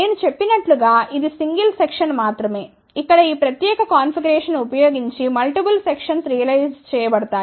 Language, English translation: Telugu, As I mentioned this is only a single section multiple sections can be realized using this particular configuration here